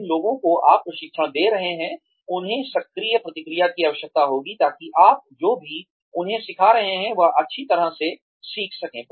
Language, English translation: Hindi, The people you are training, will need active feedback, in order to be, able to learn, whatever you are teaching them, well